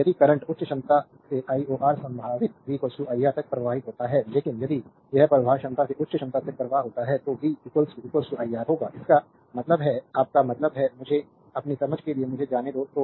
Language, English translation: Hindi, So, if the current flows from a higher potential to lower potential v is equal to iR, but if it is current flows from a lower potential to higher potential, v will be is equal to minus iR; that means, your that means, let me let me just for your understanding